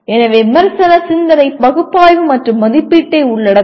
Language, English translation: Tamil, So critical thinking will involve analysis and evaluation